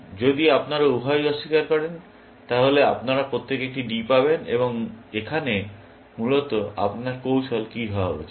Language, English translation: Bengali, If both of you deny, then you get a D each, essentially what should be your strategy